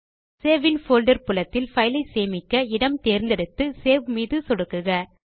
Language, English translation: Tamil, In the Save in folder field, choose the location where you want to save the file and click on Save